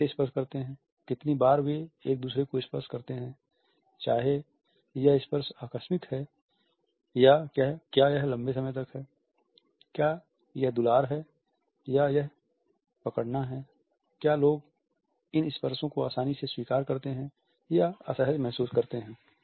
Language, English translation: Hindi, How do people touch, how much frequently they touch each other, whether this touch is accidental or is it prolonged is it caressing or is it holding, whether people accept these touches conveniently or do they feel uncomfortable